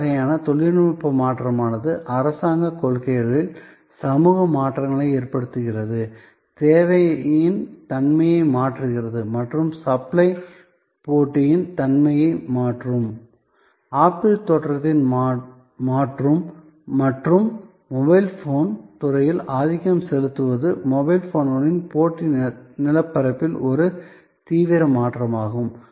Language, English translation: Tamil, So, this kind of change in technology change in government policies social changes, changing the nature of demand and supply changing the nature of competition the emergence of apple and it is dominants in the mobile phone industry is a radical change in the competitive landscape of mobile phones